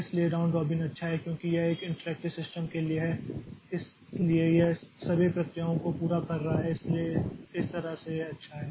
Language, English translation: Hindi, So, so round robin is good because this is for an interactive system so it is catering to all the processes so that way it is good